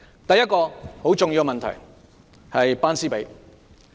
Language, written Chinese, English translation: Cantonese, 第一個很重要的問題，就是"班師比"。, First is the class - teacher ratio which is an important issue